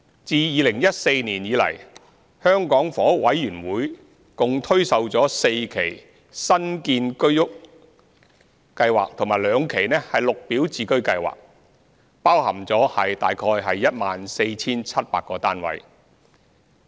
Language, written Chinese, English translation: Cantonese, 自2014年以來，香港房屋委員會共推售了4期新建居者有其屋計劃和兩期綠表置居計劃，包含約 14,700 個單位。, Since 2014 the Hong Kong Housing Authority HA has put up four batches of sale under new Home Ownership Scheme HOS and two batches of sale under Green Form Subsidized Home Ownership Scheme GSH involving about 14 700 flats